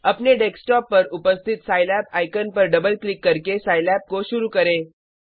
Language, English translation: Hindi, Start Scilab by double clicking on the Scilab icon present on your Desktop